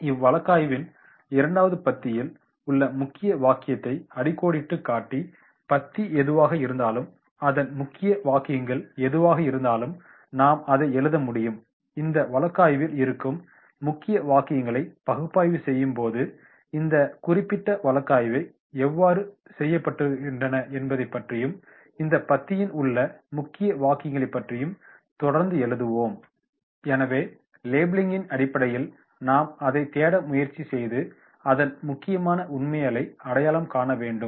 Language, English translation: Tamil, Second will be underline the key sentence in the paragraph, so whatever the paragraph is there and what are the key sentences are there that we will be able to write and then this key sentences that will make the effect how this particular case study while analysing the case study we will keep on writing about the key sentences in the paragraph, so in the labelling basically we are trying to search, we are trying to identify the facts which are very very important